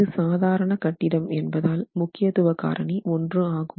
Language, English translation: Tamil, It's an ordinary building and therefore importance factor is one